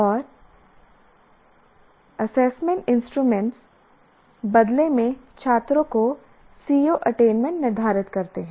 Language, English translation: Hindi, And the assessment instruments, they in turn determine the student's CBO attainment